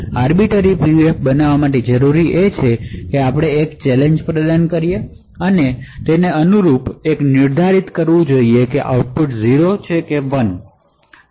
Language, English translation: Gujarati, So creating an Arbiter PUF would require that we provide a challenge and correspondingly determine whether the output is 0 and 1